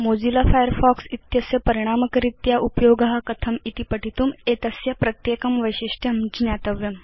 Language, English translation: Sanskrit, To learn how to use Mozilla Firefox effectively, one should be familiar with each of its features